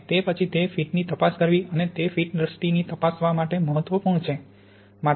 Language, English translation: Gujarati, And then it is important to check the fit and to check that fit visually